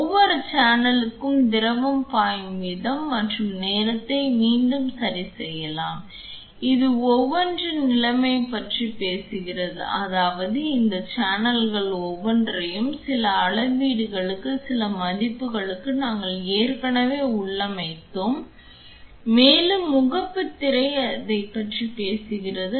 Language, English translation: Tamil, The rate at which the fluid is flowing and time can be adjusted again for each channel and this is talking about status of each that is we have already configured each of these channels for some values for some readings and the home screen talks about that